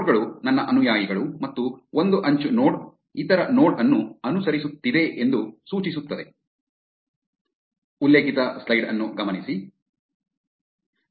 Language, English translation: Kannada, Nodes are my followees and an edge signifies that the node is following the other node